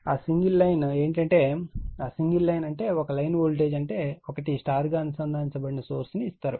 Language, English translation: Telugu, That single one line means single line one line voltage, one line voltage I mean one is star connected source is given this right